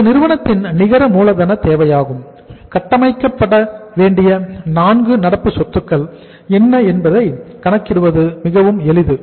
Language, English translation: Tamil, This is the net working capital requirement of the firm which is very simple to calculate that these are the 4 current assets required to be built up